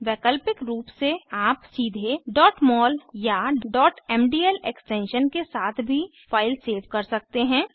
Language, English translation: Hindi, Alternatively, you can also save the file with extension .mol or .mdl directly